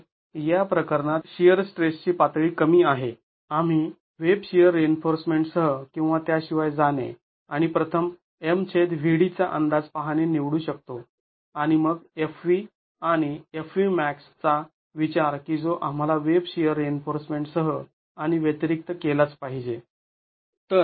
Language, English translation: Marathi, So, in this case, we could, the level of shear stress is low, we could choose to go with either with or without web shear reinforcement and look at the estimate of m by VD first and then the fv and fv max that we must consider with and without web shear reinforcement